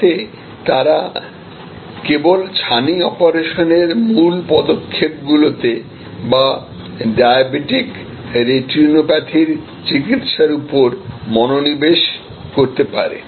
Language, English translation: Bengali, So, that they can focus only on the core steps of the cataract operation or the treatment for diabetic retinopathy and so on